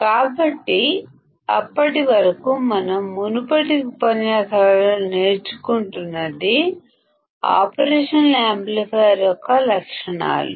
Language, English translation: Telugu, So, until then what we were learning in the previous lectures were the characteristics of an operational amplifier